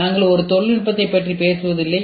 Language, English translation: Tamil, We do not talk about one technology